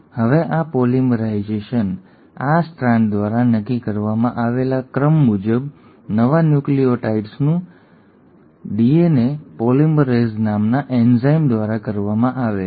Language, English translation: Gujarati, Now this polymerisation, this bringing in of new nucleotides as per the sequences just dictated by this strand is done by an enzyme called as DNA polymerase